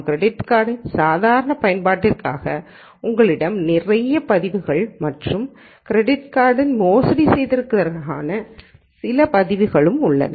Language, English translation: Tamil, And you have lots of records for normal use of credit card and some records for fraudulent use of credit card